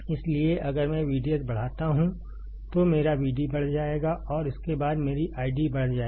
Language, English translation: Hindi, So, if I increase V D S, my V D will increase and correspondingly my I D will increase